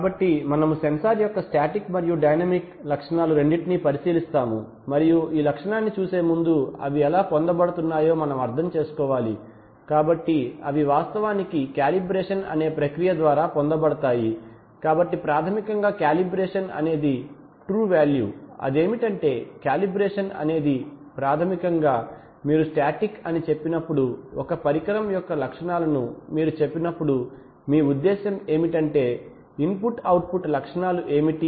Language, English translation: Telugu, So we will look at both sensor and both static and dynamic characteristics and before we look at this characteristic, we need to understand how they are obtained, so they are actually obtained by a process called calibration, so basically a calibration is, you know, we are saying that if the true value is so and so what is the, so calibration is basically, when you say static, when you say characteristics of an instrument what you mean is, what is the input output characteristics so if the true value is so and so what is the output that is what, that is what is it essentially to be determined